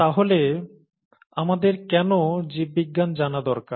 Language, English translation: Bengali, So, why do we need to know biology